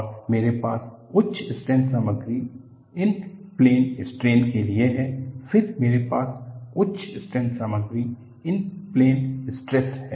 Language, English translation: Hindi, And, I have this for high strengths material in plane strain, then I have high strength material in plane stress